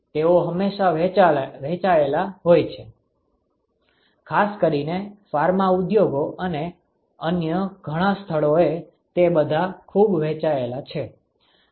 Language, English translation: Gujarati, They are always shared, particularly in Pharma industries and many other places it is all very shared